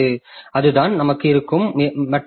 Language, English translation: Tamil, So, that is the other difficulty that we have